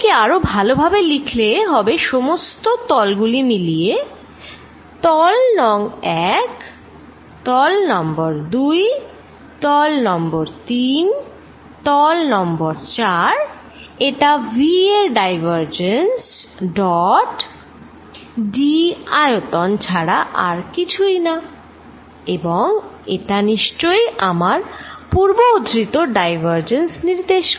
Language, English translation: Bengali, Let me write it even better some over all the surfaces, surface 1, surface 2, surface 3, surface 4 this is nothing but equal to divergence of v dot d volume and this defines divergence consistent with the ideas I was talking about earlier